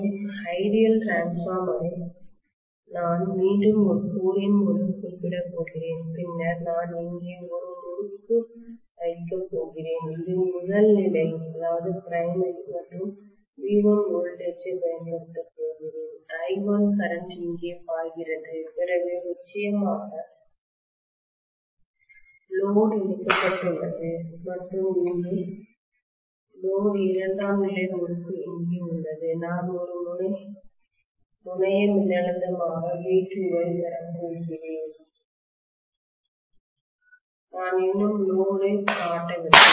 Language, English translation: Tamil, I am going to again specify that by a core and then I am going to have one winding here which is the primary and am going to apply voltage of V1 here and I1 is flowing here after the load is connected of course and I am going to have the secondary winding here and I am going to have V2 as a terminal voltage I have still not shown the load